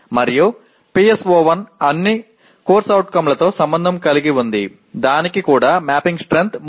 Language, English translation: Telugu, And whereas PSO1 is associated with all the COs to that extent it is also mapping strength is 3